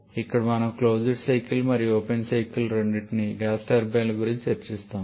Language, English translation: Telugu, Here we shall be discussing about gas turbines both closed cycle and open cycle